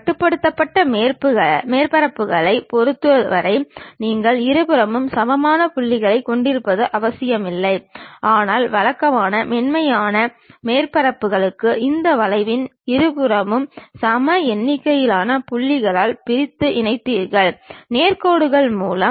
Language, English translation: Tamil, In the case of ruled surfaces, it is not necessary that you will have equal number of points on both the sides, but usually for lofter surfaces you divide it equal number of points on both sides of this curve as and joined by straight lines